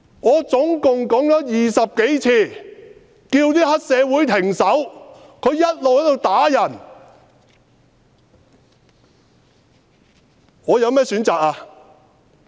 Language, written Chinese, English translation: Cantonese, 我總共20多次叫黑社會分子停手，他們一直在打人，我有甚麼選擇？, I asked triad members to stop beating over 20 times but they never stopped . What else could I do?